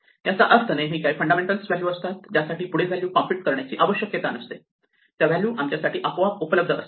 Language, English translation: Marathi, That means, there are always some values some base values for which no further values need to be computed; these values are automatically available to us